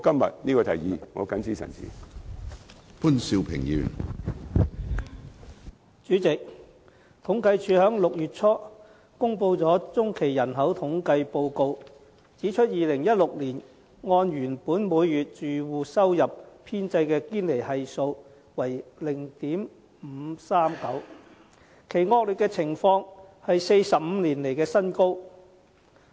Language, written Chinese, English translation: Cantonese, 主席，政府統計處在6月初公布了中期人口統計報告，指出2016年按原本每月住戶收入編製的堅尼系數為 0.539， 其惡劣情況是45年來的新高。, President according to the results of the population by - census released by the Census and Statistics Department CSD in early June the Gini Coefficient based on original monthly household income rose to the record high of 0.539 in 2016 the worst situation ever in 45 years